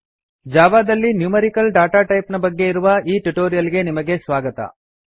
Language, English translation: Kannada, Welcome to the spoken tutorial on Numerical Datatypes in Java